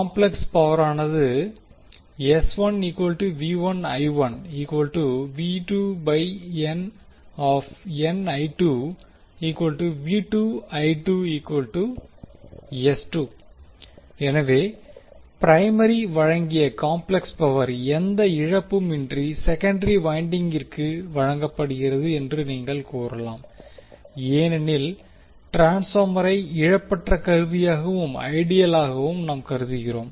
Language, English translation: Tamil, So, what you can say that complex power supplied by the primary is delivered to the secondary winding without any loss because we have considered transformer as a lossless equipment and ideal